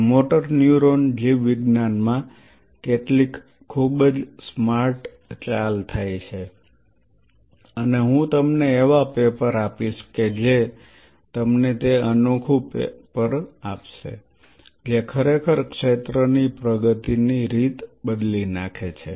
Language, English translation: Gujarati, And in motor neuron biology some very smart moves which happen and I will give you the papers which you kind of give you those unique papers which really change the way the field has progressed